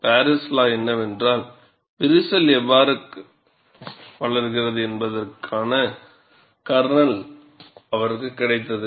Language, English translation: Tamil, The ingenuity of Paris law was he got the kernel of how the crack grows